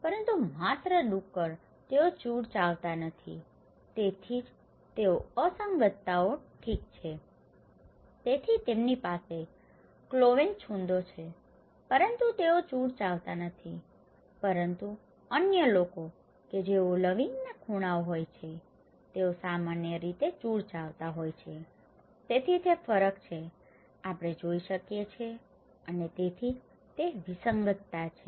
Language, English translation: Gujarati, But only pig they donít do chewing the cud, so thatís why they are anomalies okay, so they have cloven hooves but they do not chew the cud but other those who have cloven hooves generally they do chew the cud, so thatís the difference we can see and thatís why it is an anomaly